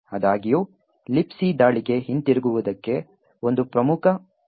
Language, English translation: Kannada, However, there is a major limitation of the return to LibC attack